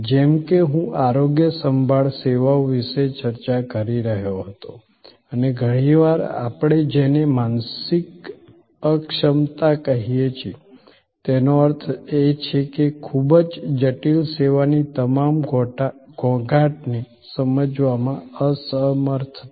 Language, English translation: Gujarati, Like I were discussing about health care services and often what we call mental impalpability; that means, the inability to understand all the nuances of a very complex service